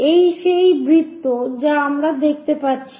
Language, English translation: Bengali, This is the circle what we are going to see